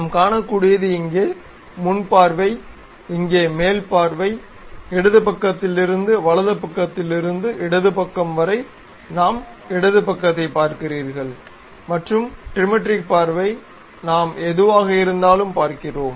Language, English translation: Tamil, What we can see is something like front view here, top view here, from left side from right side to left side if you are seeing left side view what we are seeing there, and whatever the trimetric view